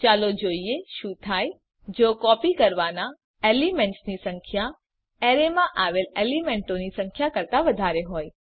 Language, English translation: Gujarati, Let us see what happens if the no.of elements to be copied is greater than the total no.of elements in the array